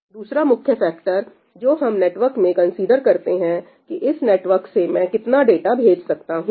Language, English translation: Hindi, Another important factor that we consider in a network is, how much data can I pump through the network